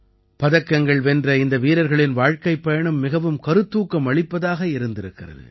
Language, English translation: Tamil, The life journey of these medal winners has been quite inspiring